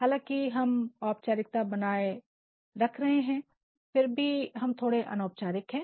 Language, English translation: Hindi, Even though we are maintaining a sort of formality, but then we are also a bit informal